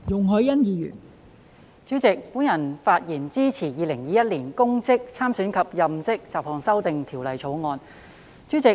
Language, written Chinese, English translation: Cantonese, 代理主席，我發言支持《2021年公職條例草案》。, Deputy President I speak in support of the Public Offices Bill 2021 the Bill